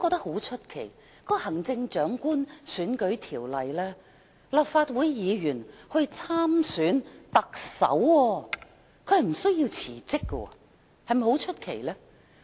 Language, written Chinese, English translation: Cantonese, 我亦奇怪《行政長官選舉條例》為何會容許立法會議員無須辭職便可以參選特首。, I also wonder why the Chief Executive Election Ordinance permits Legislative Council Members to stand in the Chief Executive Election without having to tender resignation